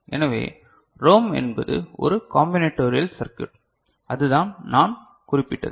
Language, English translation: Tamil, So, ROM is essentially a combinatorial circuit that is what we have noted